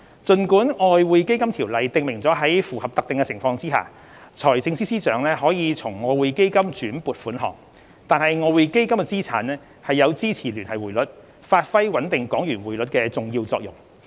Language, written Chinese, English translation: Cantonese, 儘管《條例》訂明在符合特定情況下，財政司司長可從外匯基金轉撥款項，但外匯基金資產有支持聯繫匯率，發揮穩定港元匯率的重要作用。, Though it is stipulated in the Ordinance that the Financial Secretary may make transfers from EF under certain conditions the assets of EF are important in supporting our Linked Exchange Rate and stabilizing the Hong Kong dollar exchange rate